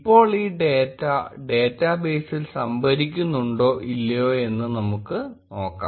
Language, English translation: Malayalam, Now, let us see whether this data is getting stored in the database or not